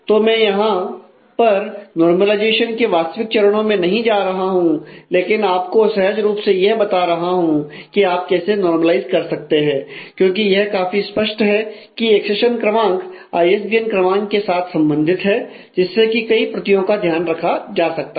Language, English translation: Hindi, So, here I have not gone through the actual steps of normalization, but I am showing you more intuitively as to, how you can normalize; because it is a quite obvious that the accession number is involved only with the ISBN number and which keeps track of the copies